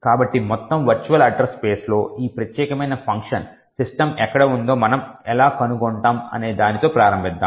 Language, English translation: Telugu, So, let us start with how we find out where in the entire virtual address space is this particular function system present